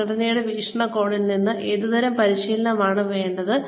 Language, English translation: Malayalam, From the organization's point of view, what kind of training is required